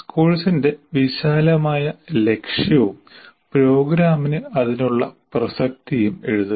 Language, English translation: Malayalam, Then one should write the broad aim of the course and its relevance to the program